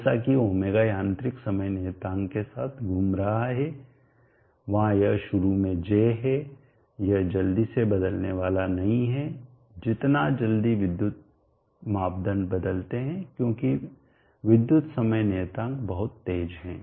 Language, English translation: Hindi, is rotating with mechanical time constant where it is initially J this is not going to vary quickly as quickly as electrical parameters like the current because electrical time constant is very fast